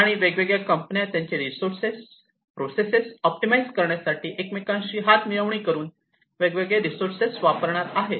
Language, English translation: Marathi, And these companies are going to join hands for optimizing their resources, and the processes that are there, in the use of these different resources